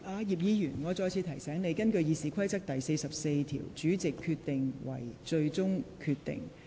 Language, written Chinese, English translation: Cantonese, 葉議員，我再次提醒你。根據《議事規則》第44條，主席所作決定為最終決定。, Mr IP I would like to remind you again that pursuant to RoP 44 the decision of the President shall be final